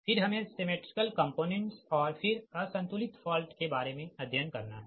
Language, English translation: Hindi, your what you call that symmetrical components, and then unbalanced fault